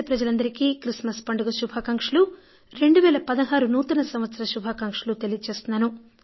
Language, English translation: Telugu, Dear Countrymen, greetings to you for a Happy New Year 2016